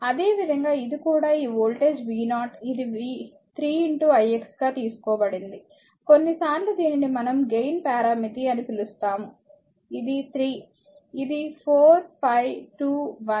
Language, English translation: Telugu, Similarly, this is also this voltage v 0 it is taken 3 into i x, sometimes we call this is a gain parameter 3, it is 3 it may be 4 5 2 1